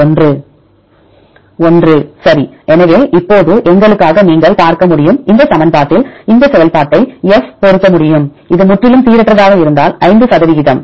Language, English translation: Tamil, One right; so now, you can see for us you can assume that, we can fit this function F in this equation such a way that if it is totally random completely 5 percent